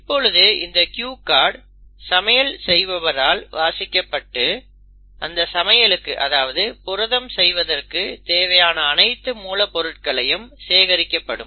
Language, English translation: Tamil, So this cue card is then read by the chef and then it will bring in all the necessary ingredients which are needed to make this protein